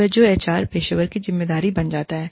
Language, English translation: Hindi, All that becomes, the responsibility of the HR professional